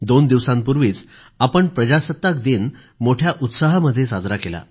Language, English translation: Marathi, Just a couple of days ago, we celebrated our Republic Day festival with gaiety fervour